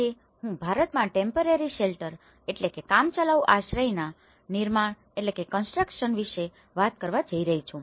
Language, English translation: Gujarati, Today, I am going to talk about temporary shelter construction in India